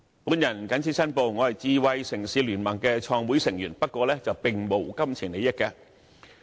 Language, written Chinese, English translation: Cantonese, 我謹此申報，我是香港智慧城市聯盟的創會成員，不過，並沒有金錢利益。, I have to make a declaration here that I am a co - founder of the Smart City Consortium of Hong Kong but have no pecuniary interest in it